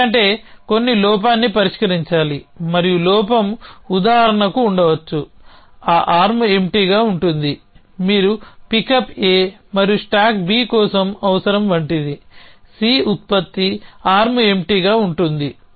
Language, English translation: Telugu, Because some flaw is to be resolved and the flaw could be for example, that arm empty you are something like that is needed for pickup A and stack B on the c producing arm empty so we with that will right the stack